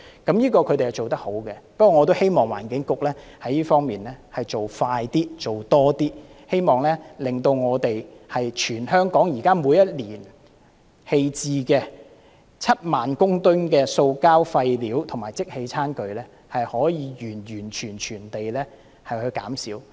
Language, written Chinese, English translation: Cantonese, 不過，我也希望環境局在這方面做快一點，做多一點，令全香港每年棄置的7萬公噸塑膠廢料及即棄餐具可以完全減少。, The Environment Bureau has done a good job in this regard but still I hope it can act faster and do more so that the 70 000 tonnes of plastic waste and disposable tableware discarded each year can be eliminated